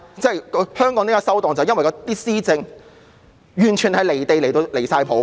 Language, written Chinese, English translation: Cantonese, 香港為何會"收檔"，便是因為施政完全離地，簡直"離晒譜"。, The reason for Hong Kong to degenerate is that the governance is totally detached from reality . This is simply outrageous